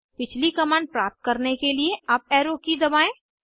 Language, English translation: Hindi, Now press the Up Arrow key to get the previous command